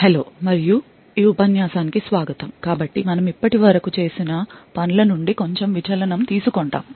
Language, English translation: Telugu, Hello and welcome to this lecture, So, we will take a slight deviation from what we have done So, far